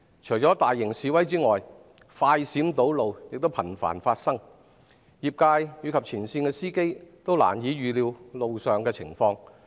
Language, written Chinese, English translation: Cantonese, 除了大型示威外，快閃堵路亦頻繁發生，業界及前線司機均難以預料路上情況。, In addition to large - scale demonstrations flash protests that cause traffic jams also occur frequently and it is difficult for the industry and frontline drivers to predict road conditions